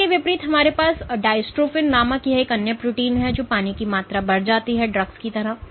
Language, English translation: Hindi, In contrast we have this other protein called dystrophin which kind of drugs when there is increased amount of water added ok